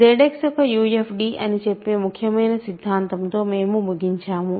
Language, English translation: Telugu, And we ended with the important theorem which says Z X is a UFD